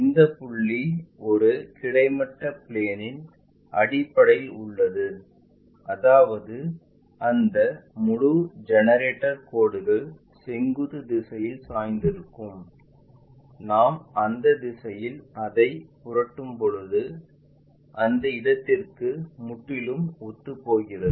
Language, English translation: Tamil, This point is on the base on horizontal plane; that means, that entire line generator lines which are inclined in the vertical direction that when we are flipping it in that direction that entirely coincide to that point